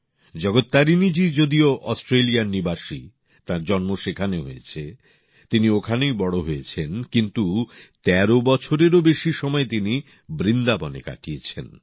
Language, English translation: Bengali, Jagat Tarini ji is actually an Australian…born and brought up there, but she came to Vrindavan and spent more than 13 years here